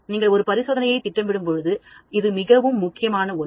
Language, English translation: Tamil, That is very, very important when you plan an experiment